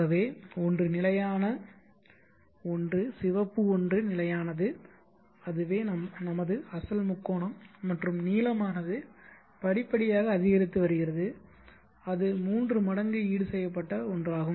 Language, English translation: Tamil, So you see that one is the constant one generate one is constant that is our original triangle and the blue one is gradually increasing and that is the tripling compensated one let me quit that